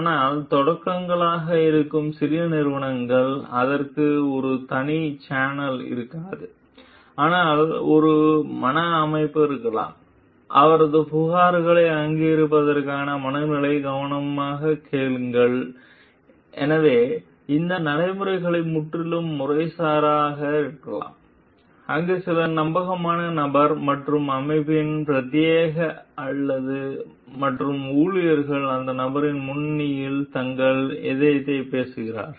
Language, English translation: Tamil, But for small companies which are startups so, there may not be a separate channel for it, but there could be a mental setup, mentality to recognize his complains, listen to it carefully and So, these procedures could be entirely informal, where there is some trustworthy person and as a representative of the organization and the employees are going to speak out their heart in forefront of that person